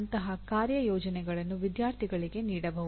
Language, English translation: Kannada, Such assignments can be given to the students